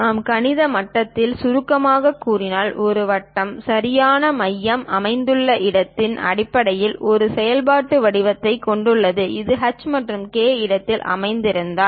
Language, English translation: Tamil, If we are summarizing at mathematical level; a circle have a functional form based on where exactly center is located, if it is located at h and k location